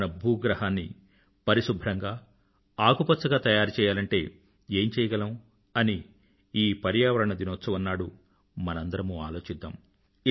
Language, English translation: Telugu, On this environment day, let all of us give it a good thought as to what can we do to make our planet cleaner and greener